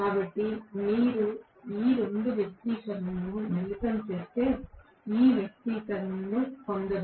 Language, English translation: Telugu, So, if you combine these 2 expressions I am sure you should be able to derive this expression